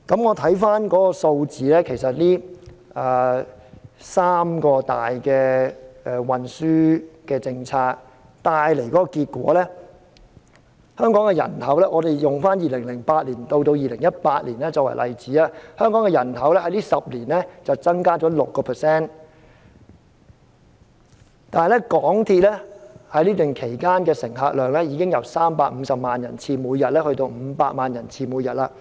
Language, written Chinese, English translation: Cantonese, 回看數字，這三大公共運輸政策帶來的結果是，使用2008年至2018年的數據作為例子，香港的人口在這10年間增加了 6%， 但港鐵的乘客量已經由每天350萬人次增加至500萬人次。, As far as the results of three major public transport policies are concerned according to the data recorded between 2008 and 2018 Hong Kongs population has grown by 6 % but MTRCLs patronage has increased from 3.5 million passenger trips a day to 5 million passenger trips a day